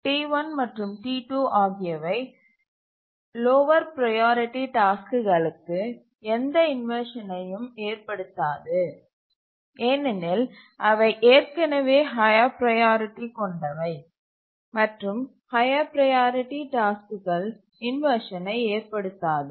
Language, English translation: Tamil, T1 and T2 will not cause any inversion to the lower priority tasks because there are already higher priority and high priority task doesn't cause inversions